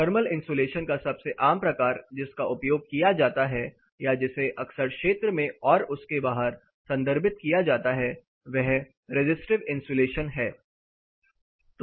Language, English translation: Hindi, The most common type of thermal insulation which is used or which is often refered one and half in the field is a resistive insulation